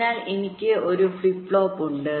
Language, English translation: Malayalam, so so i have a flip flop